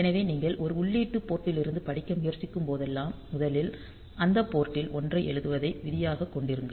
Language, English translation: Tamil, So, make it a rule that whenever you are trying to read from an input port, first you write a 1 at that port